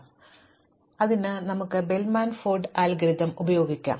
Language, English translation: Malayalam, In particular let us look at the Bellman Ford Algorithm